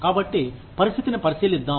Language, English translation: Telugu, So, let us consider the situation